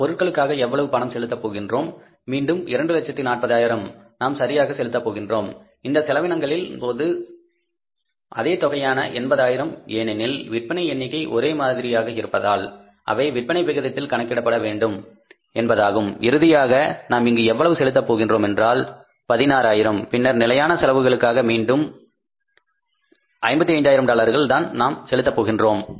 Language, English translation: Tamil, Again 2,000 we are going to pay right and on case of this expenses same figures, 80,000s because sales figure is same so it means they have to be calculated in proportion to the sales and finally how much we are going to pay here this is 16,000 right and then on account of the fixed expenses again the same thing we are going to pay that is 55,000 dollars